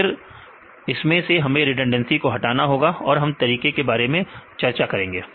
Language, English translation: Hindi, Then we have to remove the redundancy right that is redundancy we will discuss about various methods